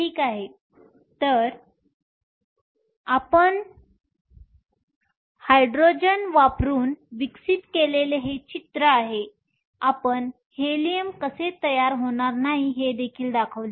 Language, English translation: Marathi, Ok So, this is the picture you have developed using Hydrogen we also showed how Helium will not formed